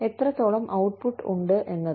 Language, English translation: Malayalam, How much output, there is